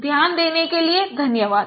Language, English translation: Hindi, Thank you very much for your listening